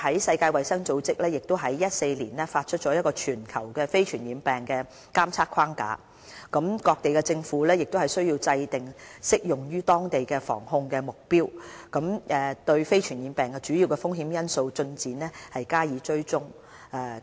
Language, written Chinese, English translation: Cantonese, 世界衞生組織在2014年發出全球非傳染病的監測框架，各地政府需要制訂適用於當地的防控目標，對非傳染病的主要風險因素進展加以追蹤。, In 2014 the World Health Organization issued the NCD Global Monitoring Framework calling for governments worldwide to devise local targets for the tracking of progress in preventing and controlling risk factors associated with NCDs